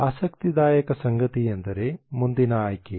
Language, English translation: Kannada, What is interesting is the next choice